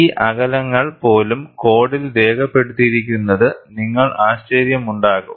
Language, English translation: Malayalam, You will be surprised; even these distances are noted in the code